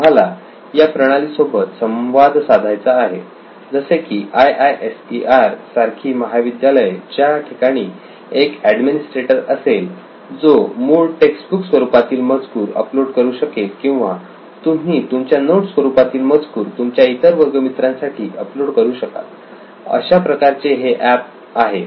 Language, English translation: Marathi, We would also like to interact with a system like this colleges like IISER where your administrator can come up with a content, textbook content or you can upload your notes content for your classmates, something like that